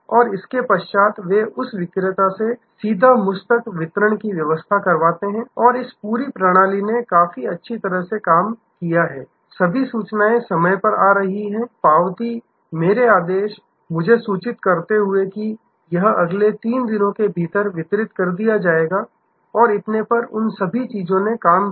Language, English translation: Hindi, And then, they arrange for that direct delivery to the customer to me and this whole system worked quite well, all the intimations were coming to be on time, acknowledgment, my ordered, informing me that it will be delivered within the next 3 days and so on, all those things worked